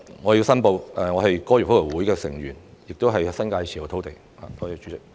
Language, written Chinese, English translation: Cantonese, 我申報，我是香港哥爾夫球會的成員，亦持有新界土地。, I declare that I am a member of the Hong Kong Golf Club and also hold land in the New Territories